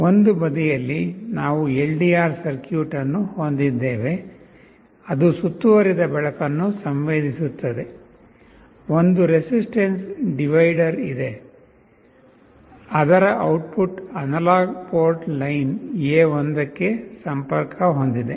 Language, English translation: Kannada, On one side we have the LDR circuit that will be sensing the ambient light; there is a resistance divider the output of which is connected to the analog port line A1